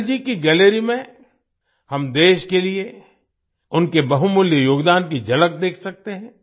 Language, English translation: Hindi, In Atal ji's gallery, we can have a glimpse of his valuable contribution to the country